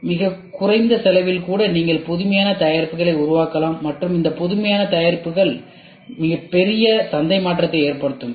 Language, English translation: Tamil, See even with a very minimum cost very minimum cost you can develop innovative products and these innovative products can make a huge market change